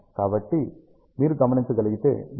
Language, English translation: Telugu, So, if you can observe, you have a signal at 0